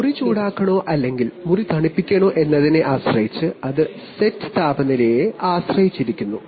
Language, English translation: Malayalam, And depending on, whether you want to heat the room or cool the room, that is depending on the set temperature